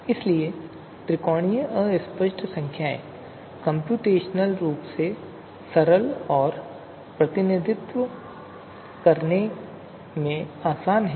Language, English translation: Hindi, So therefore, you know triangular fuzzy number mean you know, idea being that computationally simple and easy to represent